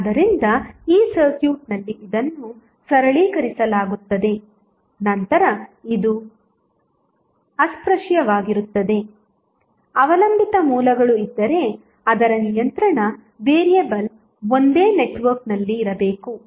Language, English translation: Kannada, So, in this circuit, this would be simplified, then this would be untouched, if there are dependent sources, it is controlling variable must be in the same network